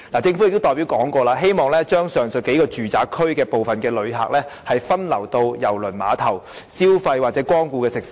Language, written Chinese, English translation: Cantonese, 政府代表曾表示，擬把上述數個住宅區的部分旅客，分流至郵輪碼頭消費或光顧該處的食肆。, This is the key . Representatives of the Government have expressed the idea of diverting some of the visitors in the several residential areas mentioned to the cruise terminal so that visitors will do shopping and patronize the restaurants there